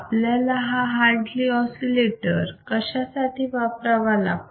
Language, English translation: Marathi, So, what exactly is Hartley oscillator is